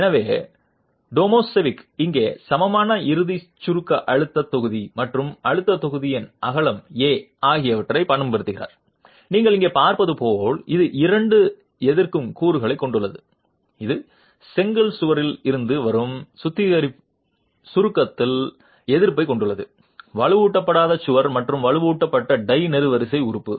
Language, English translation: Tamil, So, Tomazovic here makes use of an equivalent ultimate compression stress block and the width of the stress block A as you are seeing here it has two resisting elements, it has resistance in compression coming from the brick wall, the wall which is unreinforced and the reinforced tie column element